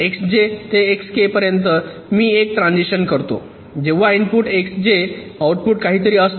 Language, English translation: Marathi, so, from s i to s k, we make a transition when the input is x i and the output is z k